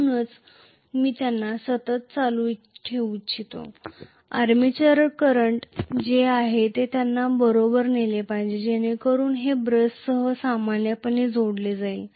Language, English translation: Marathi, So, I do not want them to carry a constant current, I want them to carry whatever is the armature current exactly so it will be connected in series with the brushes normally